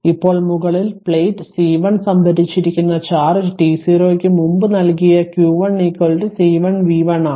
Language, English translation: Malayalam, Now now the charge stored on the top plate C 1 prior to t 0 is given by q 1 is equal to C 1 into b one that is C 1 is one micro farad